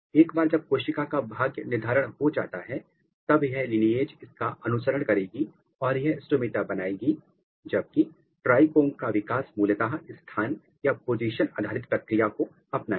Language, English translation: Hindi, Once it is the cell fate is determined it will follow the lineage and it will make the stomata whereas, the trichome development is basically adopting position dependent mechanism